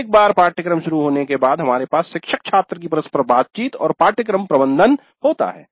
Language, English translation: Hindi, Then once the course commences, teacher student interaction, course management